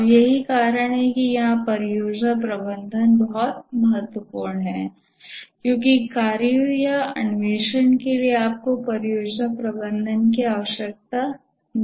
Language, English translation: Hindi, And that's the reason why project management is important here because for the tasks or the exploration you don't need project management